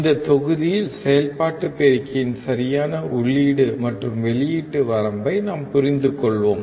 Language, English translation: Tamil, In this module, we will understand the exact input and output range of an operational amplifier